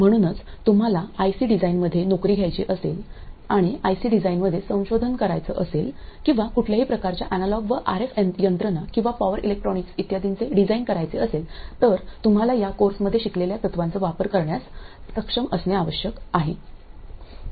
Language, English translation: Marathi, So if you want to take up a job in IC design or do research in IC design or design any kind of analog and RF system or power electronics and so on, you need to be able to use the principles that you learn in this course